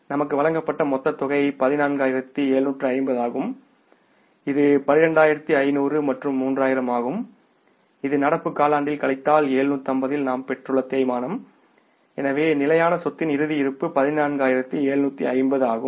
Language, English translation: Tamil, We are given some total is 14,750 which we worked out here that is 12,500 plus 3,000 which we acquired in the current quarter minus 750 is the depreciation